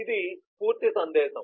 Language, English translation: Telugu, this is a complete message